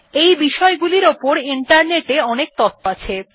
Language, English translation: Bengali, There is a lot of information on these topics in Internet